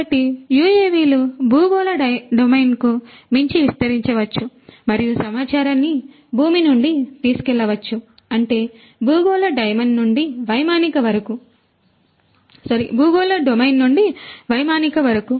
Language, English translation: Telugu, So, UAVs can extend beyond the terrestrial domain and carry the information from the ground; that means, from the terrestrial domain to the air aerial